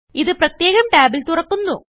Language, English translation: Malayalam, It opens in a separate tab